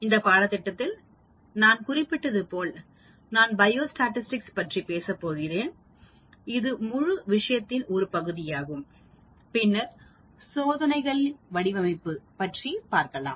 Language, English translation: Tamil, As I mentioned in this course, I am going to talk about biostatistics; that is the part one of the whole thing and then comes the design of experiments